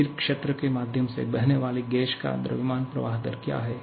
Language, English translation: Hindi, What is mass flow rate of a gas flowing through a constant area